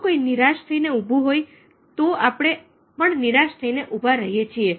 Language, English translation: Gujarati, if somebody stands in a dejected manner, we might stand in a dejected manner